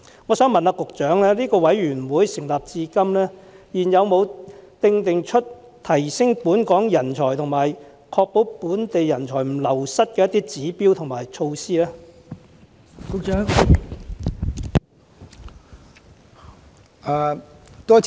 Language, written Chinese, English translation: Cantonese, 我想問局長，委員會成立至今，有否制訂出提升本港人才和確保本地人才不流失的指標和措施呢？, Since its inception has HRPC formulated any indicators and measures to increase the number of local talents and prevent a drain of local talents?